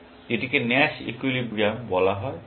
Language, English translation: Bengali, Why is it called the Nash equilibrium